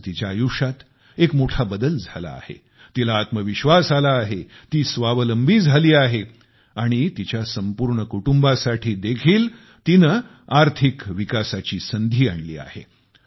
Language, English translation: Marathi, At present, her life has undergone a major change, she has become confident she has become selfreliant and has also brought an opportunity for prosperity for her entire family